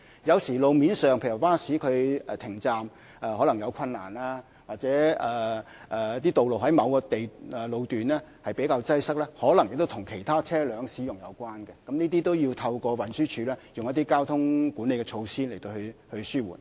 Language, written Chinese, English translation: Cantonese, 有時候路面的交通問題，例如巴士靠站有困難，或者某些道路在某個路段比較擠塞，可能跟其他車輛的使用有關，這些都要透過運輸署利用交通管理措施來紓緩。, Sometimes traffic problems on the roads such as buses having difficulty pulling over at bus stops or certain stretches of particular roads being relatively congested may have to do with the use of other vehicles . Such problems must be ameliorated through traffic management measures implemented by the Transport Department